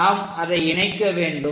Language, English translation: Tamil, We have to connect